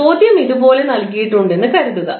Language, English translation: Malayalam, Suppose the question is given like this